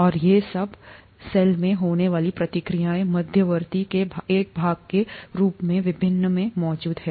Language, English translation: Hindi, And these are all present in the various, as a part of the reaction intermediates that happen in the cell